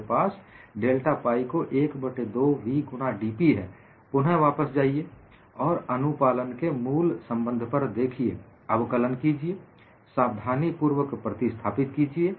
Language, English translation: Hindi, I have delta pi as 1 by 2 v into dP; again, go back and look at the basic relationship on compliance, differentiate it, and substitute it carefully